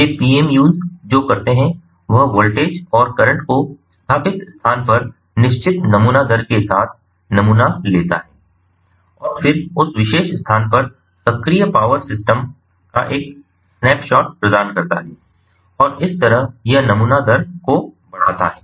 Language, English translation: Hindi, these pmus, what they do is the sample the voltage and the current with the fixed sample rate at the installed location and then provide a snapshot of the active power system at that particular location and this way it increases the by ah